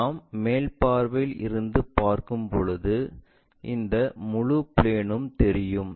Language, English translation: Tamil, When we are looking from top view this entire plane will be visible